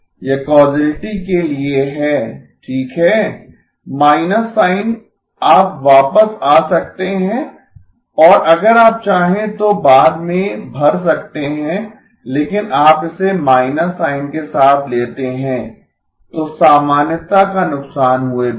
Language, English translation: Hindi, This is for causality okay, the minus sign you can come back and fill later if you want but you take it with the minus sign, so without loss of generality